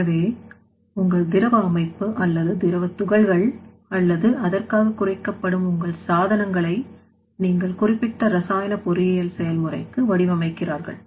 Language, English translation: Tamil, So, the you are designing the system in such way that either your fluid system or fluid particles are actually reducing its size or your equipment that is being reduced for that particular chemical engineering process or not